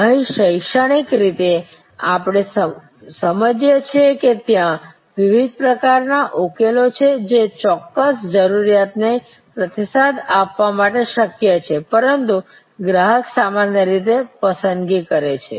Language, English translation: Gujarati, Here, academically we understand that there is a wide variety of solutions that are possible to respond to a particular need, but the customer usually makes a selection